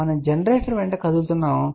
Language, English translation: Telugu, We are moving along the generator